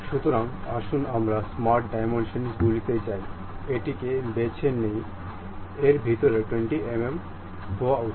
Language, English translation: Bengali, So, let us go smart dimensions pick this one, inside supposed to be 20 mm, done